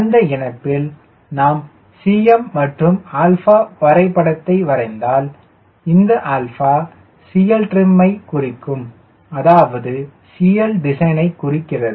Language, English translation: Tamil, and in that connection we realize that if i plot cm versus alpha, then if this is my alpha trim, it is which corresponds to a cl trim and which is, say, c l design